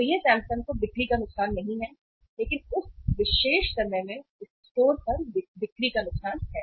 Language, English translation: Hindi, So it is not a loss of sale to the Samsung but is a loss of the sale to the store at that particular point of time